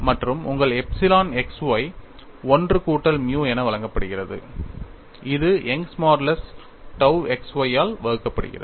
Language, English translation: Tamil, And your epsilon x y given as 1 plus nu divided by Young's modulus into tau x y